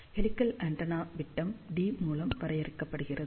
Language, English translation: Tamil, So, helical antenna is defined by its diameter D